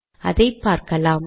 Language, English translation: Tamil, So lets see that also